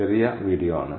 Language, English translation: Malayalam, it is the short video